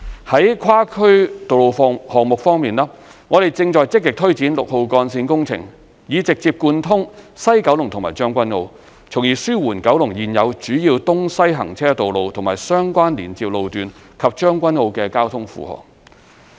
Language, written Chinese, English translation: Cantonese, 在跨區道路項目方面，我們正積極推展六號幹線工程，以直接貫通西九龍和將軍澳，從而紓緩九龍現有主要東西行車道路和相關連接路段及將軍澳的交通負荷。, On the provisioning of inter - district roads we are proactively taking forward the Route 6 project to directly link up Kowloon West and Tseung Kwan O thus relieving the traffic burden along the existing major east - west road corridors in Kowloon and Tseung Kwan O